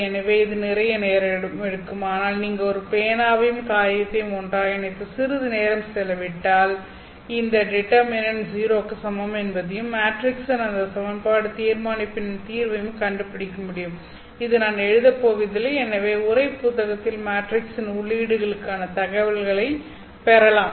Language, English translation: Tamil, So it will take a lot of time but if you really put pen and paper together and then spend some time you will be able to find that determinant and the solution of that equation determinant of the matrix equal to 0 which I am not going to write the matrix here you can refer to the textbook for the entries of the matrix